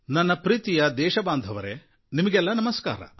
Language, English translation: Kannada, My dear fellow citizens, Namaskar